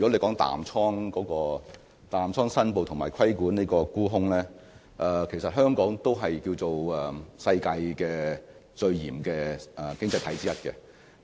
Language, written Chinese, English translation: Cantonese, 關於淡倉申報及規管沽空方面，其實香港可以說是世界上最嚴謹的經濟體之一。, Concerning the short position reporting regime and the regulation of short selling Hong Kong can be regarded as one of the most stringent economies in the world